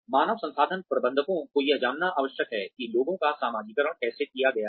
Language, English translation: Hindi, Human resources managers need to know, how people have been socialized